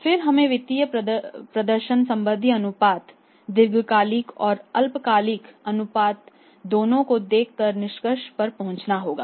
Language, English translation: Hindi, And then we will have to arrive at the conclusion so looking at the total financial performance related ratios with long term and short term ratios